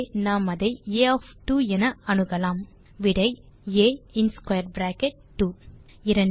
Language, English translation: Tamil, Hence, we access it as A of 2,answer is A in square bracket 2